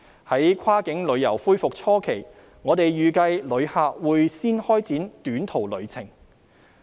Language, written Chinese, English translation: Cantonese, 在跨境旅遊恢復初期，我們預計旅客會先開展短途旅程。, We expect that in the beginning when cross - boundary travel resumes tourists will opt for short - haul travel